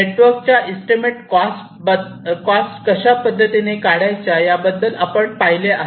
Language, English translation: Marathi, we have already seen earlier how to estimate the cost of the nets